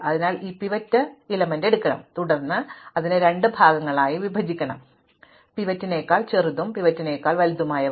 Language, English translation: Malayalam, So, you pick up this pivot and then you break it up into two parts, those which are smaller than the pivot and those that are bigger than the pivot